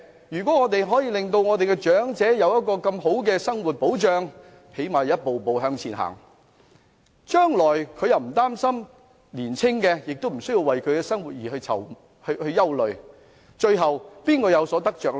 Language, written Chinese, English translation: Cantonese, 如果我們可以令長者有更佳的生活保障，最低限度一步步向前走，將來他們不用擔心，青年人亦無須憂慮他們日後的生活，最後誰有得着呢？, If we can give the elderly better protection of their livelihood and at least make advancement step by step then they need not worry about their future and young people also need not worry about their future living . If so who will benefit in the end?